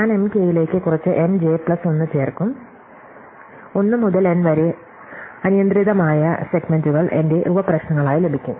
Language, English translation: Malayalam, So, I will add some M j plus 1 to M k, so I would get arbitrary segments from 1 to n as my sub problems